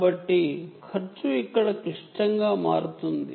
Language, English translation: Telugu, so cost becomes a critical here